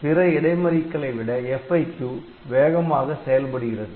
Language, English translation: Tamil, So, because of that the FIQ is faster than other interrupts